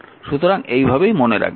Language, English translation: Bengali, So, how to remember this